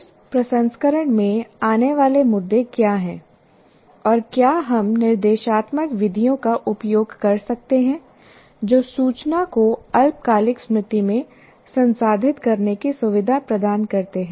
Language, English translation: Hindi, In that processing, what are the issues that come and whether we can use instructional methods that facilitate the what we call processing the information in the short term memory